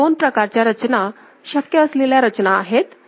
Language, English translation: Marathi, So, these are two possible arrangements